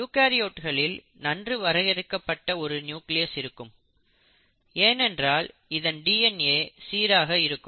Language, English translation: Tamil, Now the nucleus in case of eukaryotes is much more well defined because the DNA is very well organised